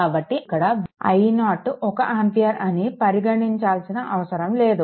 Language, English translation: Telugu, So, here no question of considering also i 0 is equal to 1 ampere no need right